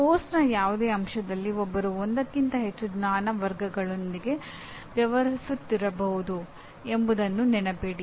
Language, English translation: Kannada, Remember that in any element of the course one may be dealing with more than one knowledge category